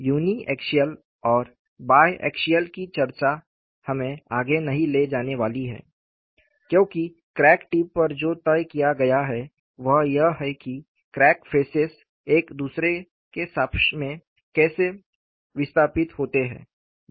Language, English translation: Hindi, The discussion of uniaxial and biaxial is not going to take as any further; because, what is dictated at the crack tip is how the crack phases are displaced relative to each other